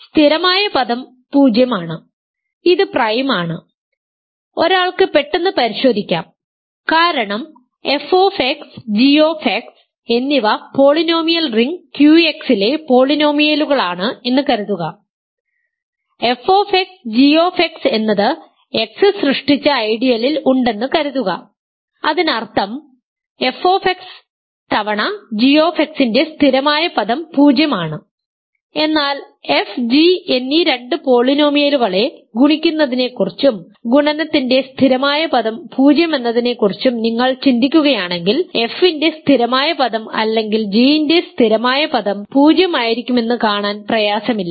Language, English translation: Malayalam, So, the constant term is 0 this is prime, one can check quickly because suppose f X and g X are polynomials in the polynomial ring Q X and suppose f X times g X is in the ideal generated by X; that means, the constant term of f X times g X is 0, but if you think in your mind about multiplying two polynomials f and g, and the product has constant term 0 then it is not difficult to see that the constant term of f or constant term of g must be 0 because the constant term of the product is simply the product of the constant terms